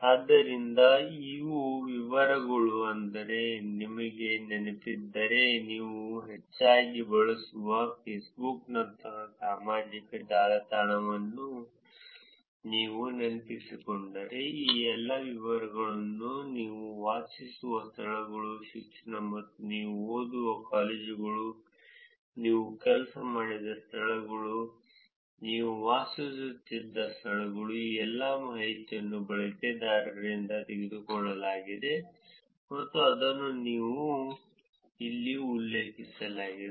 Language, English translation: Kannada, So, these are details, meaning, if you remember, if you just recollect the social network that you use more often, which is like Facebook, you have all these details at the right places that you live, education, colleges that you study, places that you worked, places that you have lived, all of these information are taken from the users and that is what is mentioned here